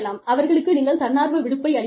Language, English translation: Tamil, You could give them, voluntary time off